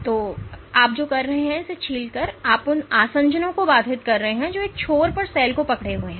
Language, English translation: Hindi, So, by peeling what you are doing is you are disrupting the adhesions which are holding the cell at one end